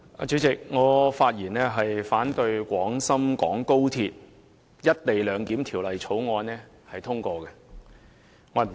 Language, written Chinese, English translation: Cantonese, 主席，我發言反對《廣深港高鐵條例草案》獲得通過。, President I speak in opposition to the passage of the Guangzhou - Shenzhen - Hong Kong Express Rail Link Co - location Bill the Bill